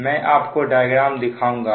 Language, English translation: Hindi, i will show you the figure now